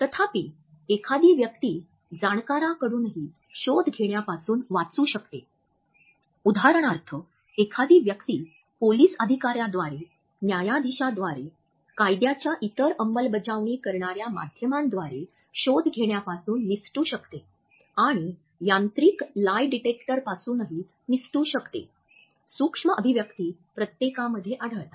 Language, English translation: Marathi, However, a person can still escape the detection by professionals, a person can escape detection for example by police officers, by judges, by various other law enforcement agents and can also escape the mechanical lie detectors, micro expressions occur in everyone